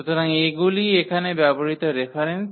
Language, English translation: Bengali, So, these are the reference used here